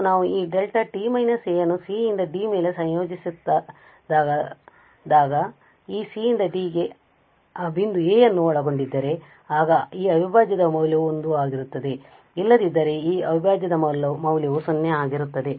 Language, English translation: Kannada, And when we integrate this Delta t minus a over some interval c to d and if this c to d contains that point a than the value of this integral is going to be 1 otherwise the value of this integral will be 0